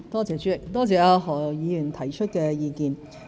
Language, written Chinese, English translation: Cantonese, 主席，多謝何議員提出的意見。, President I thank Mr HO for his views